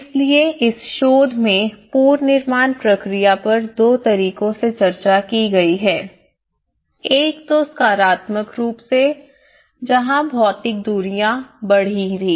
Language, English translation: Hindi, So this research have discussed the reconstruction process in two ways one is instrumentally in a positivist way, where the physical distances had increase